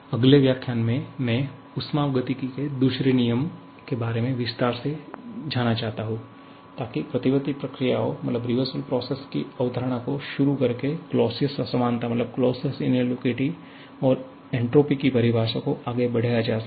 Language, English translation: Hindi, So that is it for the day, in the next lecture I would like to go into the detail of the second law of thermodynamics by introducing the concept of reversible processes subsequently leading to the Clausius inequality and the definition of entropy